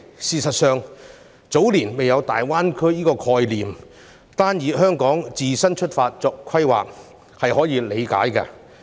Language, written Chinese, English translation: Cantonese, 事實上，早年未有大灣區的概念，所以單從香港自身出發作規劃是可以理解的。, Given that no one had any concept of GBA in the early years it is understandable that planning back then was made according to the needs of Hong Kong only